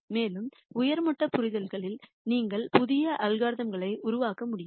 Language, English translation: Tamil, And at even higher level of understanding you might be able to develop new algorithms yourselves